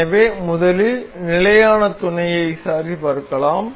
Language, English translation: Tamil, So, let us check the standard mates first